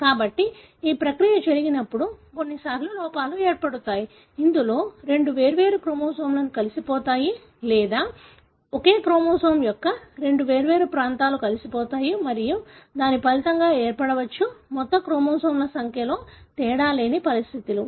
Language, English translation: Telugu, So, when these process happens, at times there are errors, wherein two different chromosomes can be fused together or two different regions of the same chromosomes can be fused together and that may result in conditions, where there is no difference in the total number of chromosomes